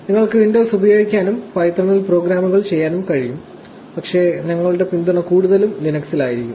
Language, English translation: Malayalam, ’ You should be able to use windows, and do programs on python, but it just said our support will be mostly on Linux